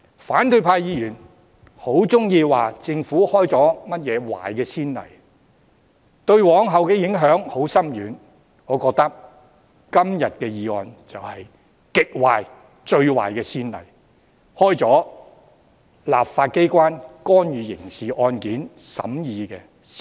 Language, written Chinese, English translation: Cantonese, 反對派議員很喜歡說政府開了甚麼壞先例，對往後的影響很深遠；我覺得今天這項議案就是極壞、最壞的先例，開了立法機關干預刑事案件審議的先例。, Opposition Members love to accuse the Government of setting certain bad precedents with far - reaching implications in the days to come . I believe todays motion would set a very bad if not the worst precedent of the legislative authority interfering with the hearing of a criminal case